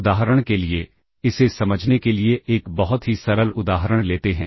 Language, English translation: Hindi, Let us take a simple example to understand this